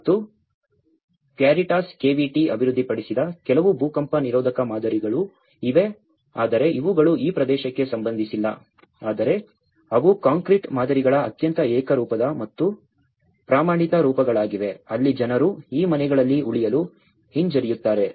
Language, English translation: Kannada, And there is also some earthquake resistant models which were developed by Caritas KVT but these are very not even relevant to this area but they are very uniform and standardized forms of the concrete models where people showed their reluctance in not to stay in these houses